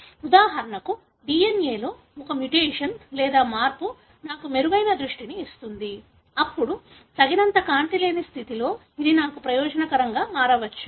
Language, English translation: Telugu, For example, there is a mutation or change in the DNA that gives me a better vision, then this may become beneficial to me in condition where there is not enough light